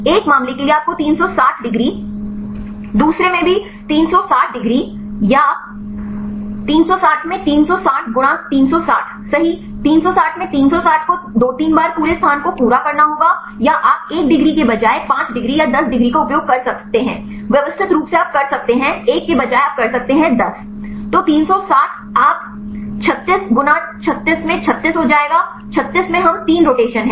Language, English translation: Hindi, For one case you should go 360 degrees, second also 360 degrees or 360 into 360 multiplied by 360 right 360 into 360 3 times into two to complete the entire space or you can do instead of one degree you can use 5 degrees or 10 degree, systematically you can do instead of one you can is 10